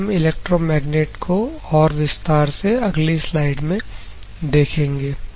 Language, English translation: Hindi, So, elaborative way about the electromagnet we will see in the next slide